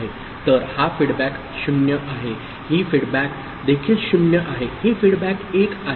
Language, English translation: Marathi, So, this is logic 0, this is also logic 0, this is logic 1